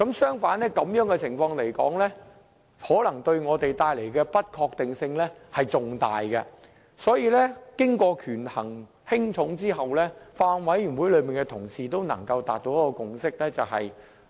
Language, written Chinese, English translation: Cantonese, 相反，這種情況可能對我們帶來更大的不確定性。所以，權衡輕重後，法案委員會委員達成了共識。, In view that this situation will cause greater uncertainty and having weighed the pros and cons Bills Committee members had reached a consensus